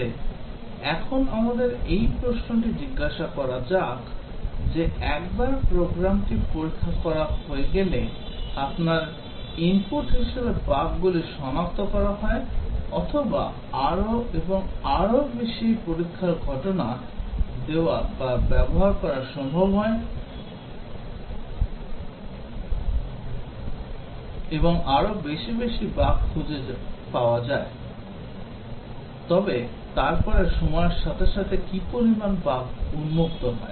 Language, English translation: Bengali, But now let us ask this question that once program is being tested, bugs are detected as you input or give or use more and more test cases more and more bugs are detected, but then the number of bugs being exposed over time falls